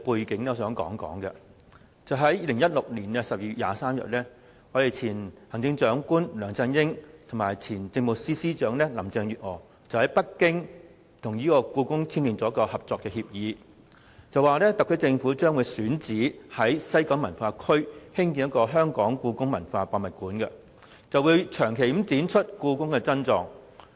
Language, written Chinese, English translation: Cantonese, 在2016年12月23日，前行政長官梁振英和前政務司司長林鄭月娥在北京與故宮博物院簽訂《合作備忘錄》，特區政府選址西九文化區興建香港故宮文化博物館，長期展出故宮珍藏。, On 23 December 2016 former Chief Executive LEUNG Chun - ying and former Chief Secretary for Administration Carrie LAM signed a Memorandum of Understanding with the Beijing Palace Museum in Beijing on the development of the Hong Kong Palace Museum HKPM in the West Kowloon Cultural District WKCD a site selected by the HKSAR Government to showcase exquisite collections of the Palace Museum on a long - term basis